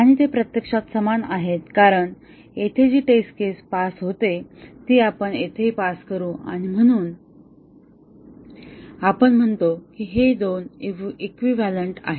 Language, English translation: Marathi, Now, they are actually same because the test case that passes here, we will also pass here and we say that these two are equivalent